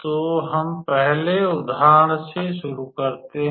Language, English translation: Hindi, So, let us start with the first example